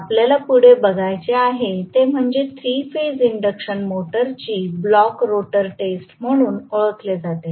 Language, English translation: Marathi, We have to look for the next one which is known as blocked rotor test of 3 phase induction motor